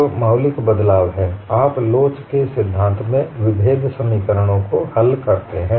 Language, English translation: Hindi, So, the fundamental shift is, you solve differential equations in theory of elasticity